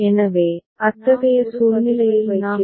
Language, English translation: Tamil, So, in such a situation what we do